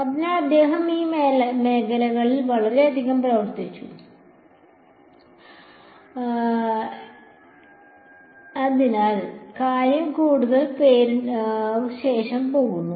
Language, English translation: Malayalam, So, he worked a lot in this area, so things go after his name right